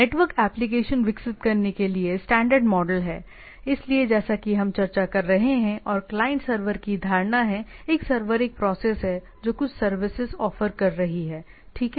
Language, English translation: Hindi, So, standard model for developing network application; so, as we are discussing and notion of client server a server is a process that is offering some service, right, as we normally know